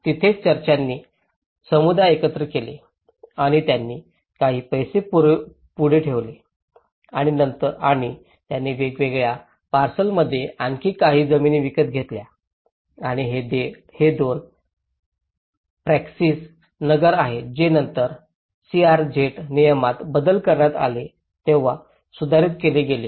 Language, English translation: Marathi, That is there the church have gathered the communities and they put some money forward and they bought some more land in different parcels and these two are Praxis Nagar which were later amended when the CRZ regulation has been further amended